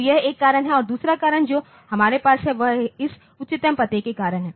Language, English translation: Hindi, So, that is one reason and another reason that we have now is due to this highest address